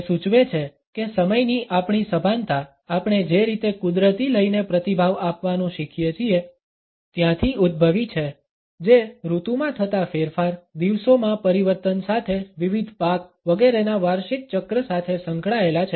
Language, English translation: Gujarati, He suggests that our consciousness of time has emerged from the way we learn to respond to natural rhythms, which were associated with changes in the season, with changes during the days, annual cycles of different crops etcetera